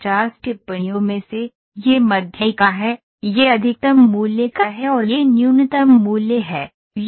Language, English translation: Hindi, Out of the 50 observations this is the median, this is of maximum value and this is the minimum value, this is line 1